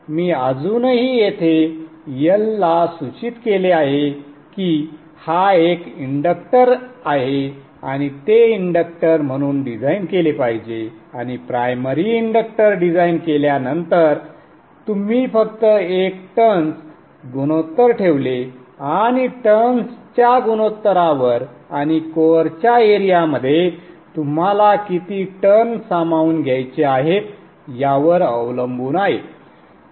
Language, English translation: Marathi, I have still indicated yell here saying that this is an inductor and this should be designed as an inductor and after designing the primary inductor you just put a turns ratio and depending upon the turns ratio what is the number of turns that you want to accommodate into the window area of the core